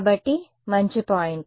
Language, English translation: Telugu, So, good point